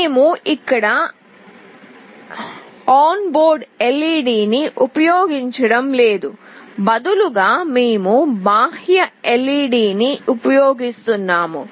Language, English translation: Telugu, We are not using the onboard LED here; rather, we are using an external LED